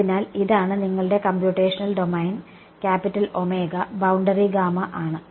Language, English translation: Malayalam, So, this is your computational domain, capital omega and the boundary is gamma right